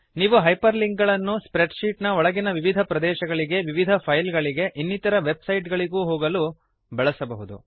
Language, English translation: Kannada, You can use Hyperlinks to jump To a different location within a spreadsheet To different files or Even to web sites